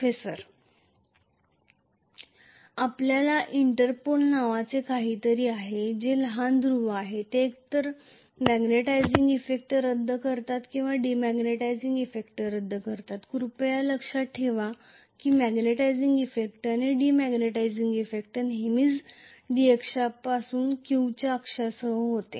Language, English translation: Marathi, We will also have something called Interpol which are smaller poles which will be either nullifying the magnetizing effect or nullifying the demagnetizing effect, please remember that the magnetizing effect and demagnetizing effect always take place along the Q axis from the D axis